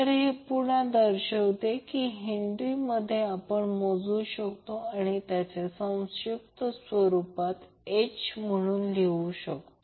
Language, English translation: Marathi, So this will again be represented it will be measured in Henry’s or in short you can write as capital H